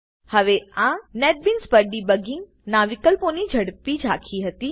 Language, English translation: Gujarati, Now, this was a quick overview of the options of debugging on netbeans